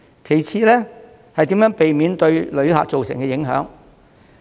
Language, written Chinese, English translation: Cantonese, 其次是如何避免對旅客造成影響。, The second point is how to prevent travellers from being affected